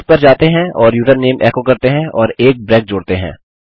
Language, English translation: Hindi, Lets go and echo out username and just add a break